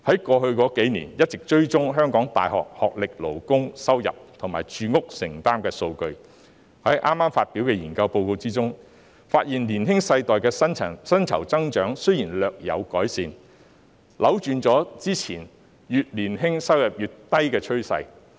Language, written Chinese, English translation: Cantonese, 過去數年，我們一直追蹤香港各世代大學學歷勞工收入及住屋承擔能力的數據，而剛發表的研究報告發現，年輕世代的薪酬增長雖然略有改善，扭轉了過去越年青收入越低的趨勢。, In the past few years we have been tracking the data on the income and housing affordability of labour with university education by generation in Hong Kong . The newly released study report found that the pay growth of the younger generation has slightly improved reversing the previous trend of lower earnings for younger workers